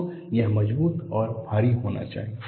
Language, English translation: Hindi, So, it should be sturdy and heavy